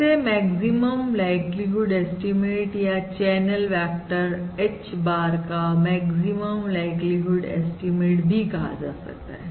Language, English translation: Hindi, this is also termed as the ML estimate, the maximum likelihood estimate of the channel vector H bar